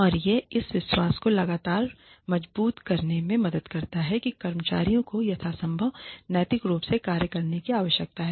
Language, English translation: Hindi, And it helps to constantly reinforce the belief that employees need to act ethically as far as possible